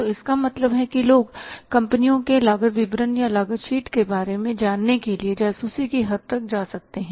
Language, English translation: Hindi, So it means, means people go up to the extent of spying to know about the cost statement or the cost sheet of the companies